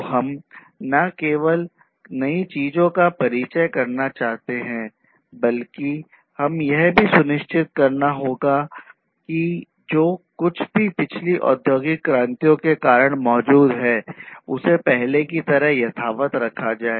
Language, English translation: Hindi, So, not only that we want to introduce newer things, but also we have to ensure that whatever has been existing from the previous industry revolutions continue and continue at least in the same form that it was before